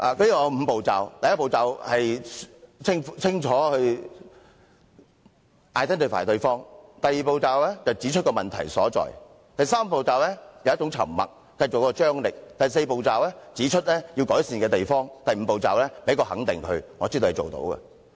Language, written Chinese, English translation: Cantonese, "它有5個步驟：第一步是清楚地稱呼對方，第二步是指出問題所在，第三步是以沉默製造張力，第四步是指出要改善之處，而第五步是給予對方肯定，說知道對方做得到。, There are five steps first address them clearly; second point out the problem; third create tension with silence; fourth identify areas for improvement; and fifth recognize them telling them that you know they can do it . Pro - establishment Members do not be homophobic anymore